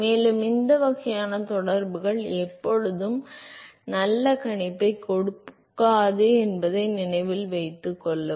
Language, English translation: Tamil, And, note that these kinds of correlations do not always give a very good prediction